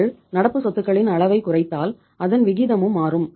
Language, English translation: Tamil, If you are reducing the level of current assets ratio has also changed